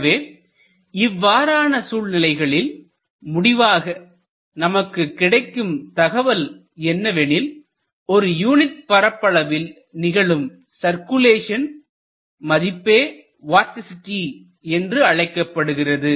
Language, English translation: Tamil, So, you can conclude from this that in such a case, you can find out the circulation per unit area equal to vorticity